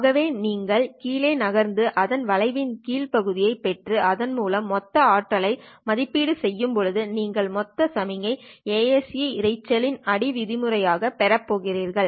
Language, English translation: Tamil, So when you shift it down and then evaluate the total power by obtaining the area under the curve for this one, you are going to obtain the total signal to ASE noise beating term